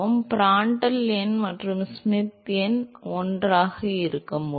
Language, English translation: Tamil, When can Prandtl number and Schmidt number be one